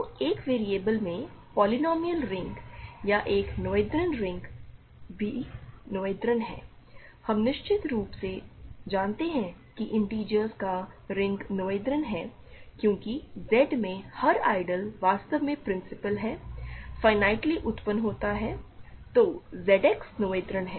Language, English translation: Hindi, So, the polynomial ring in one variable or a noetherian ring is also noetherian, we certainly know that the ring of integers is noetherian because every ideal in Z is actually principal, finitely generated so, Z X is noetherian